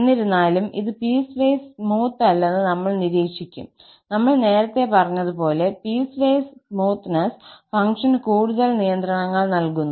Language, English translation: Malayalam, However, what we will observe that this is not piecewise smooth and as we said before that the piecewise smoothness is putting more restrictions on the function